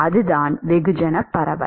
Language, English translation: Tamil, That is the mass diffusion